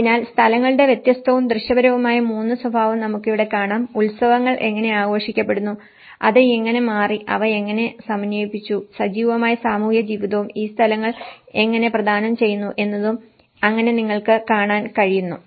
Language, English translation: Malayalam, So, that is how you can see the 3 different and visual character of places, how the festivals are celebrated, how it have changed, how they have integrated and the active community life and the bonding how these places are providing